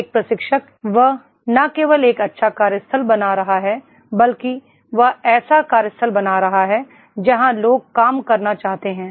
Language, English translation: Hindi, A trainer, he is not only creating a good workplace but he is creating such a workplace where people want to work